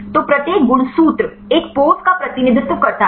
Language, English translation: Hindi, So, each chromosome represent a pose